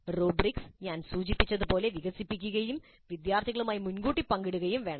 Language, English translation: Malayalam, And the rubrics, as I mentioned, must be developed and shared upfront with the students